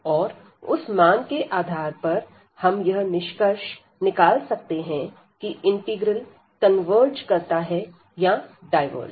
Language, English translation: Hindi, And with the basis of the evaluation indeed we can conclude whether the integral converges or it diverges